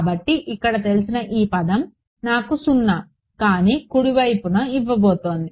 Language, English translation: Telugu, So, these this known term over here this is what is going to give me a non zero right hand side